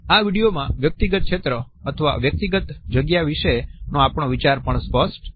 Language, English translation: Gujarati, In this video, our idea of the personal zone or personal space also becomes clear